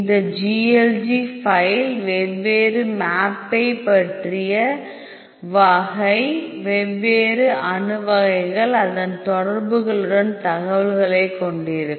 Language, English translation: Tamil, So, this GLG file will be having the information about the different map type, different atom types along with its interactions